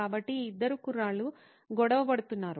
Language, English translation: Telugu, So these two guys are at conflict